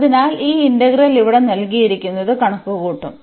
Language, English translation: Malayalam, So, this integral we will compute which is given here